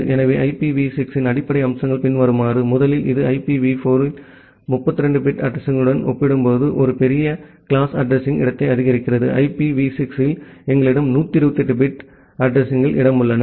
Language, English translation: Tamil, So, the basic features of IPv6 are as follows: First of all it supports a larger class of address space compared to 32 bit address in IPv4; we have 128 bit addresses space in IPv6